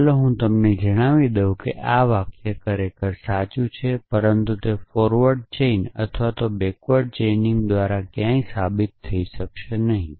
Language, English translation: Gujarati, So, let me reveal to you that this sentence is indeed true, but it cannot be proven either by a forward chaining or backward chaining